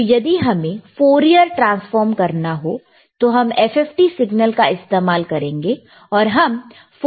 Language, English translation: Hindi, So, if you want to do Fourier transform, you can use FFT signal and you can do Fourier transform